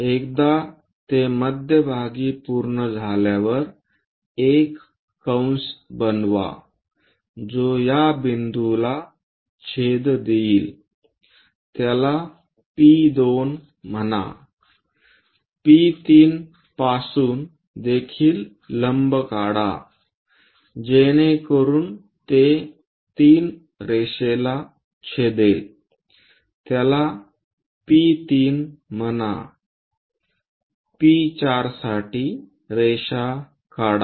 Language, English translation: Marathi, Once it is done from center, make a arc which is going to intersect this point call it as P2, for P3 also drop a perpendicular so that it is going to intersect the 3 line call that P3, for P4 drop a line where it is intersecting call that point as P4